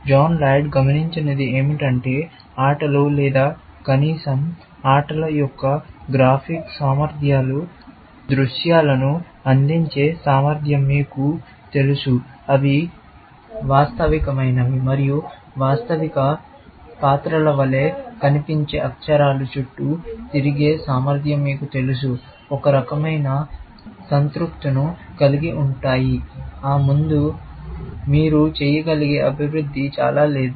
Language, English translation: Telugu, But what John Laird observed was that games, or at least, the graphic capabilities of games, you know the ability to render scenes, which are realistic, and ability to have characters moving around, which look like